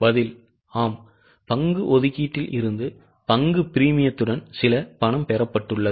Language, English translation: Tamil, Answer is yes, there is some money received from share allotment along with the share premium thereon